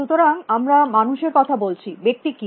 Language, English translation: Bengali, So, we are talking about people, what is the person